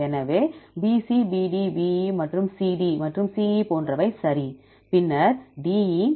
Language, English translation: Tamil, So, like BC, BD, BE and CD and CE right, then DE